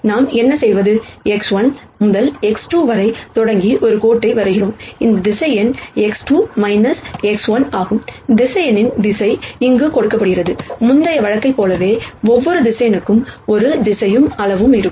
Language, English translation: Tamil, What we do is, we draw a line starting from x 1 to x 2 and this vector is x 2 minus x 1, the direction of the vector is given by this here, much like the previous case every vector will have a direction and a magnitude